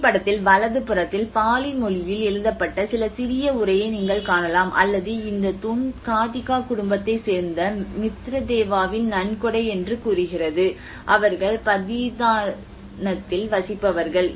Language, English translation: Tamil, \ \ \ On the right hand side in the photograph, you can see some small text which has been written in either Pali or and this is saying that the pillar is the donation of Mitadeva which is a Mitradeva of the Gadhika family, a resident of Patithana which is Pratishthana the modern Python